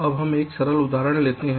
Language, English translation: Hindi, now lets take a simple example here